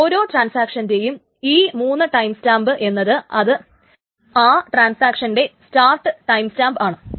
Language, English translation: Malayalam, So the three times times times for each transaction is the start timestamp for the transaction